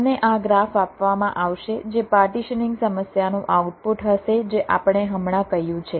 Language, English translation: Gujarati, you will be given this graph, which will be the output of the partitioning problem